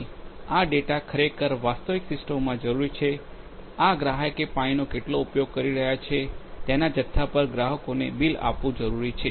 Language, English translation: Gujarati, And this data is required to actually in real systems this data is required to bill the customers on the amount of water that the customer is using